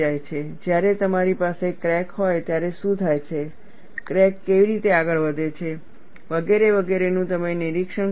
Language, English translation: Gujarati, You are not monitoring what happens when you have a crack, how the crack proceeds and so on and so forth